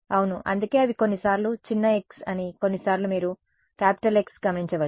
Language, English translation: Telugu, Yeah, that is why you notice that they sometimes it is small x, sometimes it is capital X right